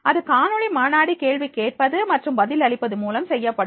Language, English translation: Tamil, It will be done through the videoconferencing, questioning and the replying